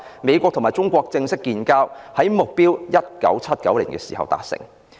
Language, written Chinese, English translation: Cantonese, 美國與中國正式建交的目標，在1979年達成。, The objective of establishing formal diplomatic relations between the United States and China was achieved in 1979